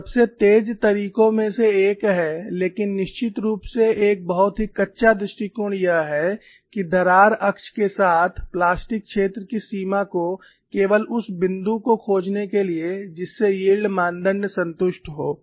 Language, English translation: Hindi, So, one of the quickest methods but, definitely a very crude approach is to find the extent of plastic zone along the crack axis by simply finding the point at which one of the yield criteria is satisfied